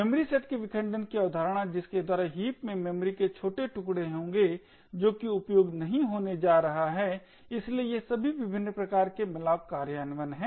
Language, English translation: Hindi, The concept of fragmentation of the memory sets in by which there will be tiny chunks of memory in the heap which is not going to be used, so all of these different types of malloc implementations